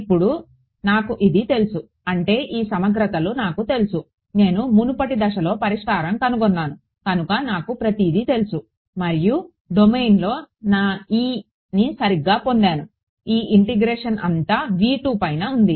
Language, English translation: Telugu, Now, I know this right these integrals I know now; I know everything because I was in the previous step, I have solved and I have got my E inside the domain right this integration was all V 2